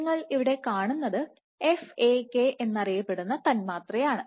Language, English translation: Malayalam, So, what you see here this molecule called FAK